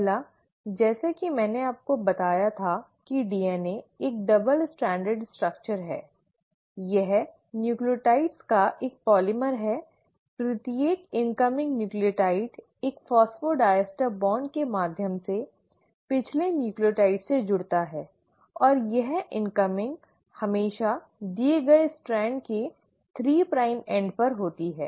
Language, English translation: Hindi, The first one, as I told you that DNA is a double stranded structure, it is a polymer of nucleotides, each incoming nucleotide attaches to the previous nucleotide through a phosphodiester bond and this incoming always happens at the 3 prime end of the given Strand